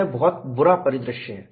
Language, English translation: Hindi, It is a very bad scenario